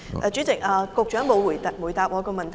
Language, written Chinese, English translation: Cantonese, 主席，局長沒有回答我的問題。, President the Secretary has not answered my question